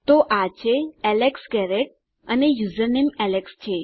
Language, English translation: Gujarati, So thats Alex Garrett and username alex